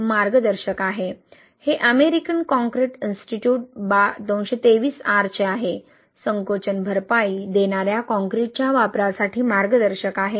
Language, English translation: Marathi, So this is a guide, this is from American concrete Institute 223R, guide for the use of shrinkage compensating concrete exists